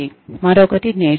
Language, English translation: Telugu, The other is learning